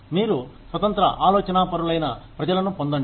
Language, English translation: Telugu, You get in people, who are independent thinkers